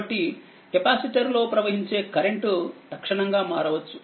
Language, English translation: Telugu, So, conversely the current to a capacitor can change instantaneously